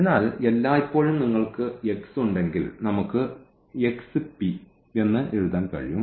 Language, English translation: Malayalam, So, always you will have that this our x we can write down x p